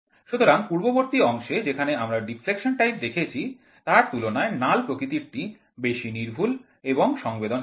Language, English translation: Bengali, So, compared to the previous condition, whatever we have seen in deflection type, the null is much more accurate and sensitive